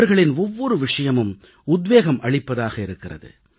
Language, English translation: Tamil, Each and everything about them is inspiring